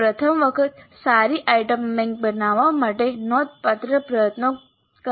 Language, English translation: Gujarati, So it does take considerable effort to create good item bank for the first time